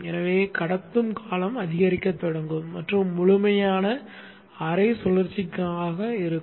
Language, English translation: Tamil, So you will see the conduction period will start increasing and it will be for the complete half cycle